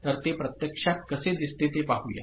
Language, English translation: Marathi, So, let us see how it actually looks like